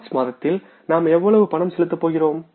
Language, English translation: Tamil, And in the month of March, how much payments we are going to make